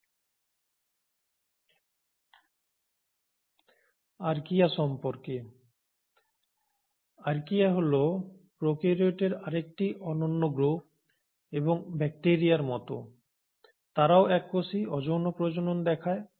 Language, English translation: Bengali, More about Archaea; now Archaea is another unique group of prokaryotes and like bacteria, they are single celled, they do show asexual reproduction